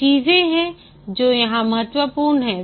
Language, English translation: Hindi, There are few things which are important here